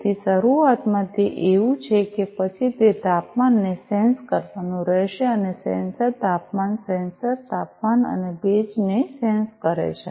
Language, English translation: Gujarati, So, initially it is like that then it starts sensing the temperature and sensor temperature sensor senses the temperature and the humidity